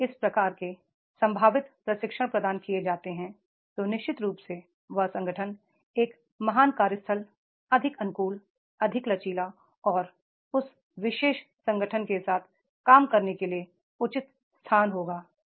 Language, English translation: Hindi, If these type of the possible trainings are provided then definitely that organization will be more great workplace, more adoptive, more flexible and more a place to love work with that particular organization